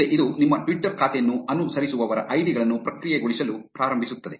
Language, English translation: Kannada, Next, it will start processing the ids of the followees of your twitter account